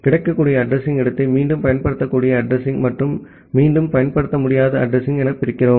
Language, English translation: Tamil, We divide the available address space into reusable address and non reusable address